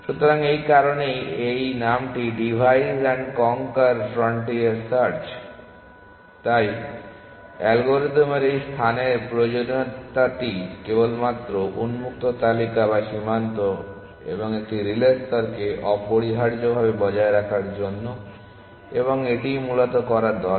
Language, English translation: Bengali, So, that is why this name divides and conquer frontier search, so this space requirement of the algorithm is only to maintain the open list or the frontier and a relay layer essentially and that is all it needs to do essentially